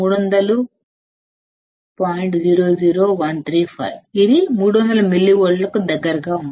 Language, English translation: Telugu, 0135, which is close to 300 millivolts